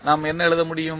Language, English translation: Tamil, What we can write